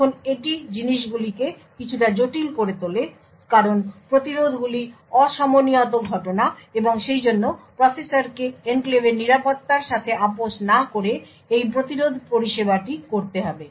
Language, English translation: Bengali, Now this makes things a bit complicated because interrupts are asynchronous events and therefore the processor would need to do service this interrupt without compromising on the security of the enclave